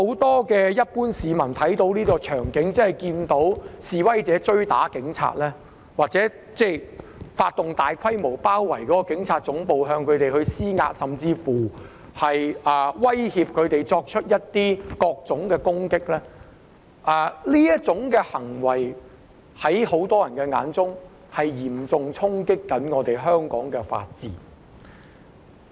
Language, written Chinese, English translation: Cantonese, 我相信一般市民看到這種場景，即看到示威者追打警察或發動大規模行動，包圍警察總部，向警方施壓，甚至威脅作出各種攻擊，在很多人眼中，這些行為都是嚴重衝擊香港法治。, I believe that when ordinary members of the public see such scenes that is protesters chasing police officers to beat them up or mounting the large - scale action of besieging the Police Headquarters to put pressure on the Police or even threatening to launch various types of attacks many of them will consider that such actions have impacted on the rule of law in Hong Kong seriously